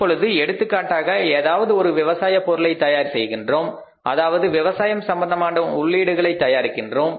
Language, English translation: Tamil, Now for example we are manufacturing the agricultural product means any product which is based upon the agricultural inputs